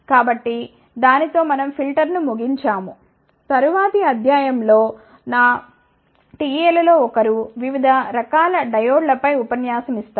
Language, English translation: Telugu, So, with that we conclude filters in the next lecture in fact, one of my ta will give a lecture on different types of diodes